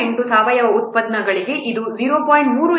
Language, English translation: Kannada, 38 for organic products this is 0